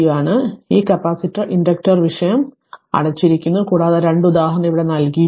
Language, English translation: Malayalam, So, with this capacitor inductors topic is closed 1 and 2 example is given here